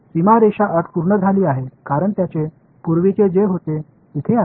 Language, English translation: Marathi, So, the boundary conditions are satisfied right what was their earlier is there now